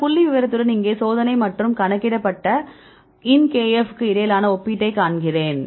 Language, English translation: Tamil, So, here is with this figure right I show the comparison between experimental and the predicted ln kf